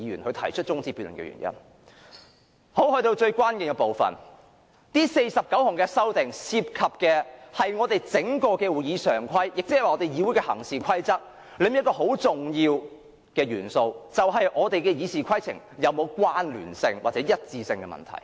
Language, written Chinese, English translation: Cantonese, 來到最關鍵的部分，這49項修訂涉及我們整套會議常規，亦即我們議會的行事規則中一個很重要的元素，就是我們的《議事規則》是否有關聯或一致的問題。, Now coming to the most crucial part these 49 amendments involve a very important element in our whole set of standing orders that means our code of practice in the Council . It is the matter of coherence or consistency of our RoP